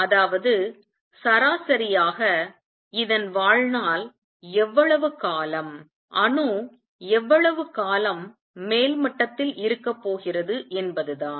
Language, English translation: Tamil, That means, on an average this is how long the lifetime is, this is how long the atom is going to remain in the upper level